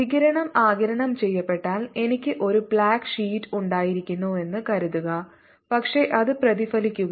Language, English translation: Malayalam, if the radiation got absorbs, suppose i had a black sheet, but it is getting reflected